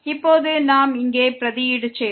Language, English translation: Tamil, Now we will substitute here